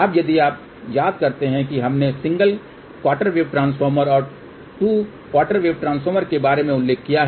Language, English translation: Hindi, Now, if you recall we did mention about single quarter wave transformer and 2 quarter wave transformer